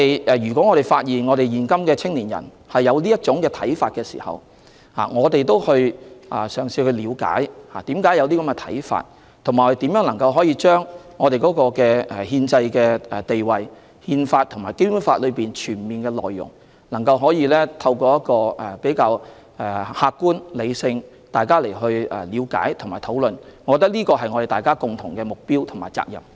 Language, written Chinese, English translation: Cantonese, 如果我們發現現今的青年人有這種看法，我們會嘗試了解為何會有這種看法，以及如何可以將憲制地位、《憲法》和《基本法》的全面內容，透過比較客觀和理性的方式，作互相了解和討論，我覺得這是我們的共同目標和責任。, If young people today have such a feeling we will try to understand why they feel so and how to use a more objective and rational means to interactively discuss with them the constitutional status and the full content of the Constitution and the Basic Law . To me this is our common goal and responsibility